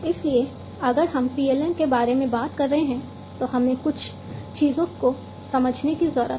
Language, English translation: Hindi, So, if we are talking about PLM, we need to understand few things